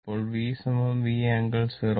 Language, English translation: Malayalam, It will be V angle 0 degree